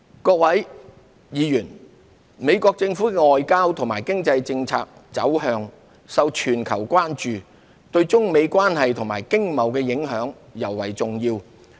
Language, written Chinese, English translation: Cantonese, 各位議員，美國政府的外交和經濟政策走向受全球關注，對中美關係和經貿的影響尤為重要。, Honourable Members the foreign and economic policy directions of the US administration is the attention of the whole world . Their implications on the China - US relations and their economies are of particular significance